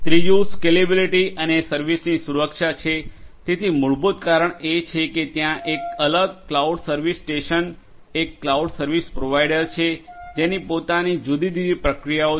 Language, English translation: Gujarati, Third is scalability and security of services, so basically you know because there is a separate, cloud service station a cloud service provider who has their own different processes